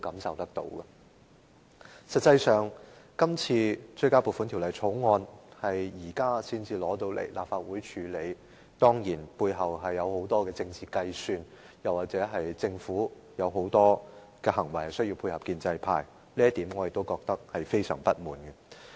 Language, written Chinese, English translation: Cantonese, 實際上，對於《條例草案》在今天才提交立法會處理，背後當然涉及許多政治計算，甚或是政府有很多行動需要配合建制派，對於這一點，我也感到非常不滿。, In fact the tabling of the Bill at the meeting of the Legislative Council today speaks volumes about the many political calculations involved as well as the Governments desire to support the pro - establishment camp in many actions . I am seething with discontent about this